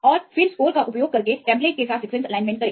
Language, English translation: Hindi, And then align the sequence with the template using score